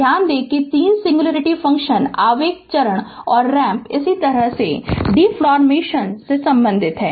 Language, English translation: Hindi, Note that 3 singularity functions impulse step and ramp are related to differentiation as follows